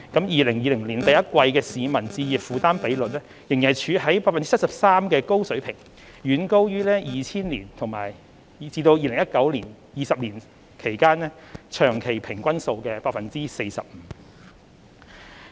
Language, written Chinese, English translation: Cantonese, 2020年第一季的市民置業負擔比率仍然處於 73% 的高水平，遠高於2000年至2019年20年長期平均數的 45%。, The home purchase affordability ratio in the first quarter of 2020 still stayed at a high level of 73 % well above the 20 - year long - term average of 45 % from 2000 to 2019